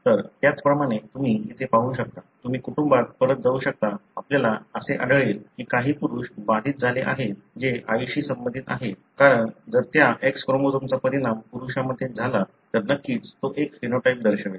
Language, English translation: Marathi, So, likewise you can see here, you can go back in the family you would find some of the males are affected, who are related to the mother because if that X chromosome results in a male, then certainly he would show a phenotype